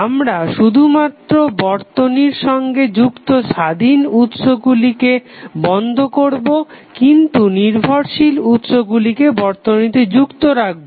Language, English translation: Bengali, We can only turn off the independent sources which are connected to the network while leaving dependent sources connected to the circuit